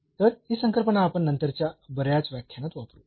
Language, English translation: Marathi, So, this concept we will also use later on in many lectures